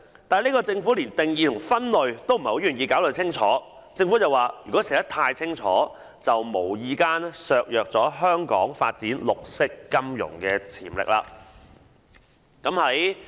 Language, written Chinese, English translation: Cantonese, 但政府連定義和分類也不願意清楚交代，竟然說如果寫得太清楚，便會"無意間削弱綠色金融的發展潛力"。, But the Government was not willing to explain clearly the definitions and classifications . It went so far as to say that clear definitions would inadvertently undermine the development potential in green finance